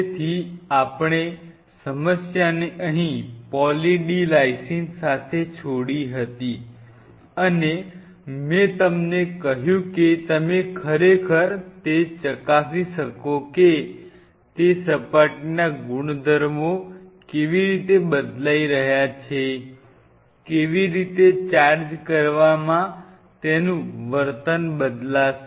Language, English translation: Gujarati, So, we left the problem here With Poly D Lysine and I told you that you can really check it out that, how it is surface properties are changing, how it is charged behavior will change